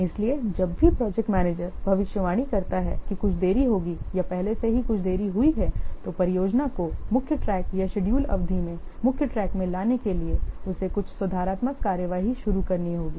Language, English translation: Hindi, So, whenever the project manager expects predicts that some delay will occur or already some delay has been occurred, then he has to initiate some corrective actions in order to what bring the project into the main track into the what scheduled track or the scheduled duration